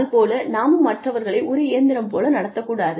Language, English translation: Tamil, We should not be treating, anyone else, like a machine